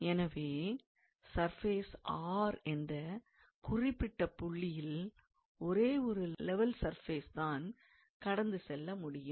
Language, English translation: Tamil, So, we will prove that at any particular point on that surface R one and only one level surface will pass through that point